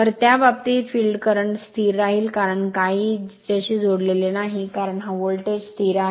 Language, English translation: Marathi, So, in that in that case, your field current I f remain constant because, nothing is connected here because, this voltage V is remains constant